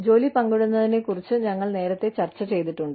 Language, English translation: Malayalam, We have discussed, job sharing, earlier